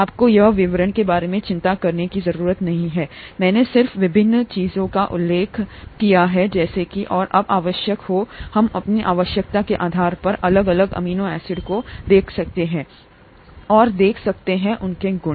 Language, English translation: Hindi, You donÕt have to worry about the details here, I just mentioned the various things, as and when necessary, we can look at individual amino acids depending on our need, and a look at their properties